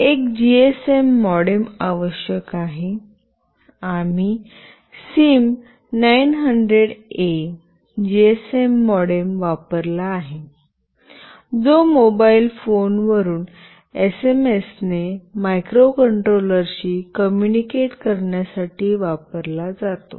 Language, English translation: Marathi, A GSM modem is required; we have used SIM900A GSM modem, which is used to communicate with the microcontroller from a mobile phone using SMS